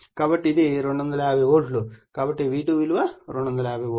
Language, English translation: Telugu, So, it is 250 volts right so, V2 is thE250 volt